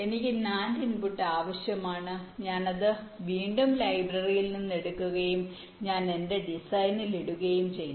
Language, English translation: Malayalam, i need for input nand, i again pick up from the library, i put it in my design